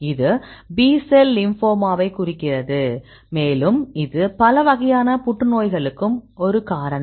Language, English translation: Tamil, So, here the why Bcl 2; this is stands for B cell lymphoma; this is also a cause for several types of cancers